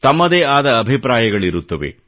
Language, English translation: Kannada, It has its own set of opinions